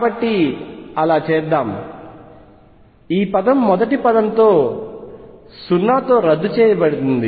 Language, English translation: Telugu, So, let us do that, this term cancels with the first term this is 0